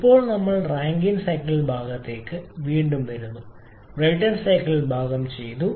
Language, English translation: Malayalam, Now we come to the Rankine cycle part the Brayton cycle part is done